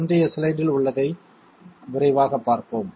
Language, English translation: Tamil, Let us have a quick look in the previous slide